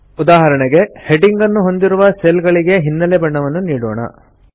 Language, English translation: Kannada, For example, let us give a background color to the cells containing the headings